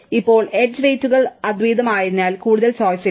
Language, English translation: Malayalam, Now, if the edge weights are unique, there is not much choice